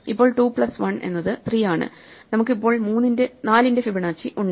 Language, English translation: Malayalam, Now, 2 plus 1 is 3, so we have Fibonacci of 4